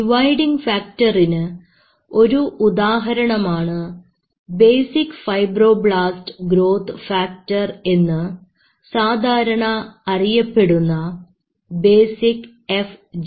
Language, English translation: Malayalam, Like one of the dividing factor is called basic fibroblast growth factor, which commonly is called basic FGF